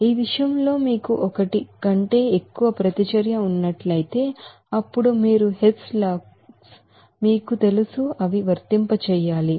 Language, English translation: Telugu, In this regard if you have more than one reaction, then you have to apply you know Hess laws